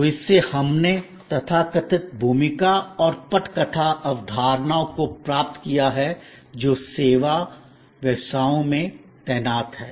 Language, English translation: Hindi, So, from this we have derived the so called role and script concepts that are deployed in service businesses